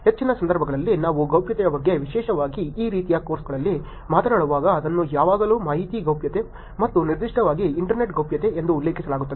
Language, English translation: Kannada, Majority of the times when we talk about privacy particularly in courses like these it is always referred to as information privacy and particularly the internet privacy